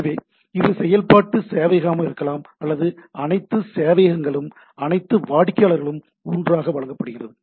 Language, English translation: Tamil, So, it that can be iterative server or all the servers all the clients are served together